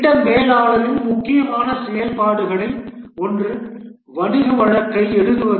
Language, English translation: Tamil, One of the important activity of the project manager is right to write the business case